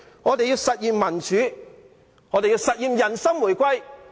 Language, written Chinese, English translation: Cantonese, 我們要實現民主，實現人心回歸。, We want democracy to be realized and we want the hearts of the people to be reunified